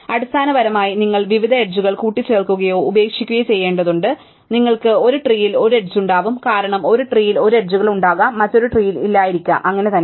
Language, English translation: Malayalam, Basically you have to keep adding or dropping different edges and you will have an exponential number of trees because an edge could be there in one tree and may not be there in another tree and so on, right